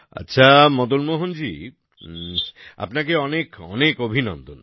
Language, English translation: Bengali, Well, Madan Mohan ji, I wish you all the best